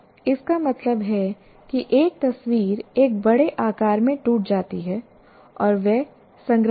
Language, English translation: Hindi, That means as if any picture is broken into large number of patterns and they're stored